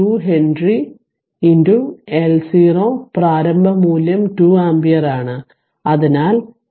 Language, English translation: Malayalam, 2 Henry into L 0 initial value is 2 ampere, so 2 square that is 0